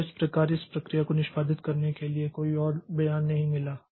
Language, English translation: Hindi, So, this process has got no more statement to be executed